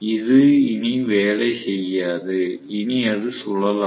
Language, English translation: Tamil, It will not be able to work anymore; it will not be able to rotate anymore